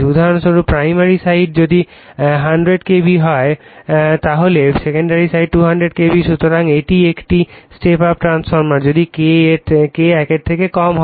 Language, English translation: Bengali, For example, primary side if it is 100 KB then secondary side it is 200 KB so, it is a step up transformer if K less than